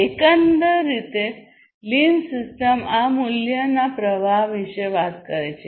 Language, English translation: Gujarati, So, the overall lean system talks about this value, value streams